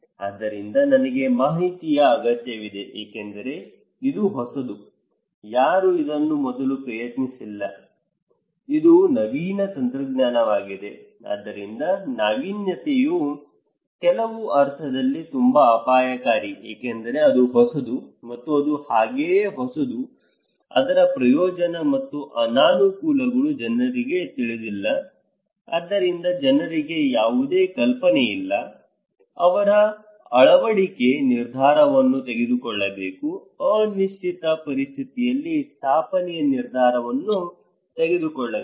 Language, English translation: Kannada, So, I need information because this is a new, no one before tried this one, this is an innovative technology so, innovation is also very dangerous in some sense because this is new and as it is new, its advantage and disadvantages are not known to the people, so people have no idea, they have to make decision of adoption, decision of installation in an uncertain situation, right